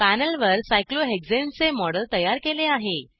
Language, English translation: Marathi, A model of cyclohexane is created on the panel